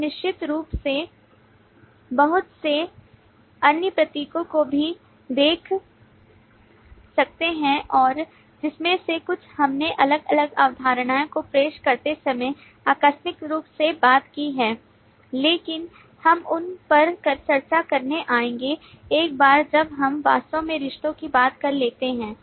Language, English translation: Hindi, You also, of course, see lot of other symbols and some of which we have casually talked of while we introduced different concepts, but we will come to discussing those once we have actually talked of the relationships